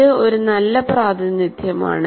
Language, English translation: Malayalam, It's a graphic representation